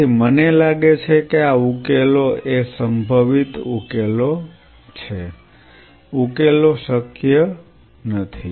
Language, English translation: Gujarati, So, I think solutions possible solutions of course, not solutions should be possible solutions